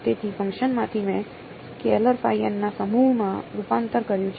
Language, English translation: Gujarati, So, from a function I have converted to a set of scalars phi n right